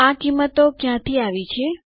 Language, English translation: Gujarati, Where did these values come from